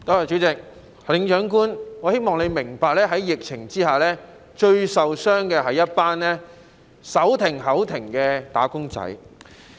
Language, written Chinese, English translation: Cantonese, 主席，行政長官，我希望你明白，在疫情之下，最受傷的是一群手停口停的"打工仔"。, President Chief Executive I hope you will understand that under the epidemic the wage earners who live from hand to mouth are hit the hardest